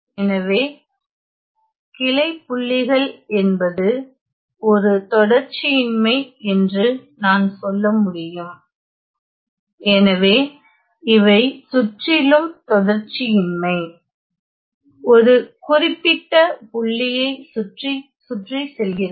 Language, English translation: Tamil, So, I can say that branch points are nothing, but discontinuity; so these are discontinuities around; well going around a particular point going around a point ok